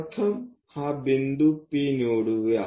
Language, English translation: Marathi, Let us pick first point this one point P